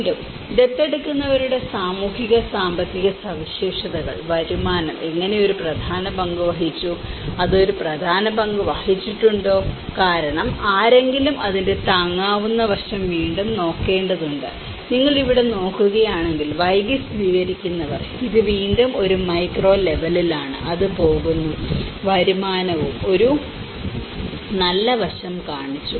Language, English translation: Malayalam, And again, here the socio economic characteristics of the adopters, how income has played an important role, whether it has played an important role because someone has to look at the affordability aspect of it and again, if you look at it here in the late adopters, it is again at a micro level, it is going, the income has also shown a positive aspect